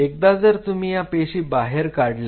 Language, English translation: Marathi, Once you see these cells out